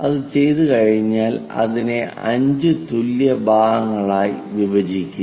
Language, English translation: Malayalam, Once it is done, divide that into 5 equal parts